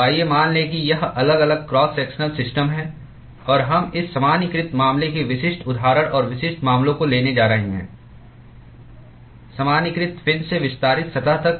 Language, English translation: Hindi, So, let us assume that this is the varying cross sectional system and we are going to take specific examples and specific cases of this generalized case generalized fin to extended surface